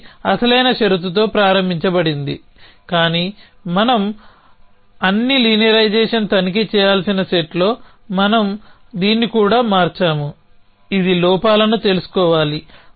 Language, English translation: Telugu, That is a original condition is started with, but in set of having to check all linearization we have change this too is condition that which should have known flaws